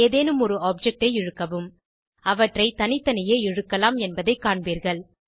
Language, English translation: Tamil, Drag any of the objects, and you will see that they can be moved individually